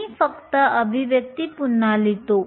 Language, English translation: Marathi, Let me just rewrite the expression